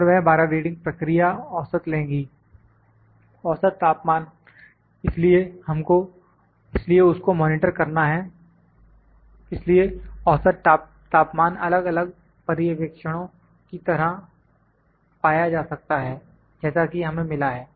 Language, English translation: Hindi, And that 12 readings will take the process mean the mean temperature, so that is to be monitored the mean temperature would be taken as the different observations that we have got